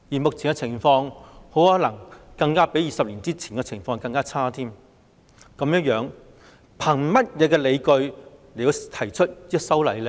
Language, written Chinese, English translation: Cantonese, 目前的情況可能比20年前更差，這樣當局憑甚麼理據提出修例呢？, The current condition might be even worse than that of 20 years ago . So on what grounds can the authorities propose the legislative amendments?